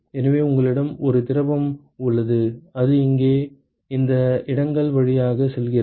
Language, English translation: Tamil, So, you have one fluid which is going through these slots here